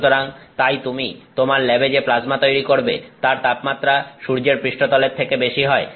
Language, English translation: Bengali, So therefore, the plasma that you are attaining in your lab is a temperature that is higher than the surface of the sun